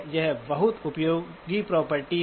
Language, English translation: Hindi, This is a very useful property